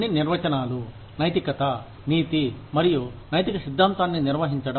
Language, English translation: Telugu, Some definitions, defining morality, ethics, and ethical theory